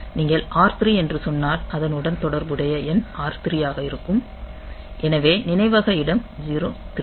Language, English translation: Tamil, So, if you say R 3 then the corresponding number that we have is so R 3 so the 0 1 2 3